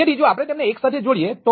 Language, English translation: Gujarati, so if we tie them together